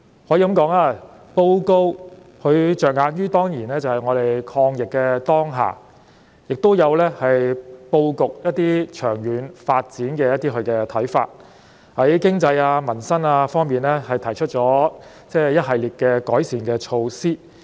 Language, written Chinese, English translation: Cantonese, 施政報告可以說是着眼於抗疫的當下，亦表述了一些有關長遠發展布局的看法，並且在經濟及民生方面，提出了一系列的改善措施。, It can be said that the focus of this Policy Address is the current fight against the pandemic . Also it has expressed some views on our long - term development pattern and set out a series of improvement measures regarding our economy and peoples livelihood